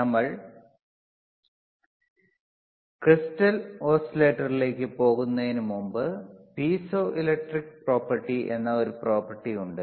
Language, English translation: Malayalam, So, before we go intto the crystal oscillator, there is a property called piezoelectric property